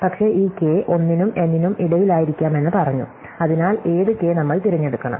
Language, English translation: Malayalam, But, we have said that this k could be anywhere between 1 and n, so which k should we choose